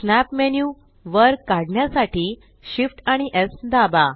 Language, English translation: Marathi, Shift S to pull up the snap menu